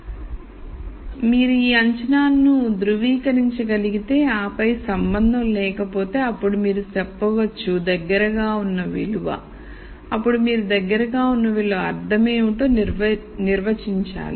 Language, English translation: Telugu, So, if you could verify this assumption and then if there was no relationship, then you say the most likely value then you have to define what the most likely value means